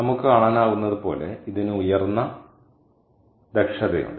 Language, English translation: Malayalam, its, it is extremely high efficiency